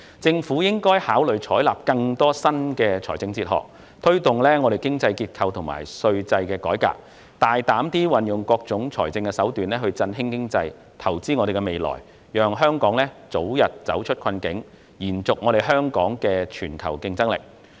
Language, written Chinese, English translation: Cantonese, 政府應考慮採納更多新的財政哲學，推動經濟結構和稅制改革，大膽運用各種財政手段振興經濟、投資未來，讓香港早日走出困境，並保持其全球競爭力。, The Government should consider adopting more new fiscal philosophies promoting the reform of the economic structure and tax regime and adopting various bold fiscal measures to boost the economy and invest in the future so that Hong Kong can shake off the doldrums as soon as possible and maintain its competitiveness